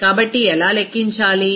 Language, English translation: Telugu, So, how to calculate